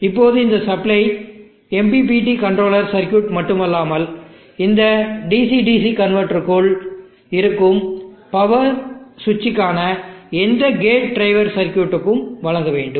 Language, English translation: Tamil, Now this supply, also supply not only the MPPT controller circuits, it also has to supply any gate drive circuits for the power switches which are there within this DC DC converter